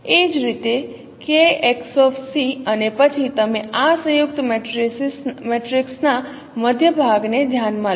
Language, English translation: Gujarati, Similarly k x c and then you consider the middle part of this composite matrix